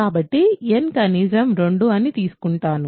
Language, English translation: Telugu, So, we assume n is at least 2